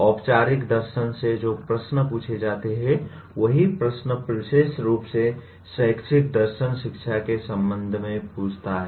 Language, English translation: Hindi, The same questions that formal philosophy asks; educational philosophy asks the same question specifically with respect to the education